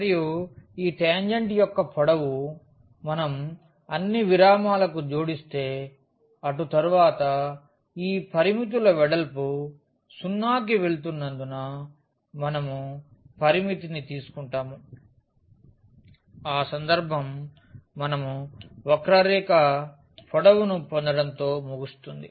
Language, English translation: Telugu, And this tangent the length of this tangent, if we add for all the intervals and later on we take the limit as the width of these intervals go to 0 in that case we will end up with getting the curve length